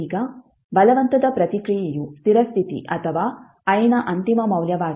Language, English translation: Kannada, Now forced response is the steady state or the final value of i